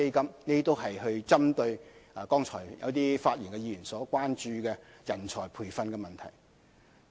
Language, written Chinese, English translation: Cantonese, 這些都是針對剛才發言議員所關注的有關人才培訓的問題。, All these efforts are focused on talent training over which Members have expressed concerns just now